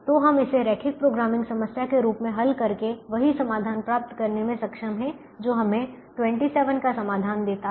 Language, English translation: Hindi, to get the same solution by solving it as a linear programming problem which gives us c solution of twenty seven